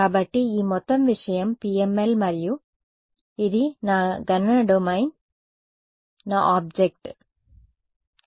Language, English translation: Telugu, So, this whole thing is PML and this is my computational domain my object ok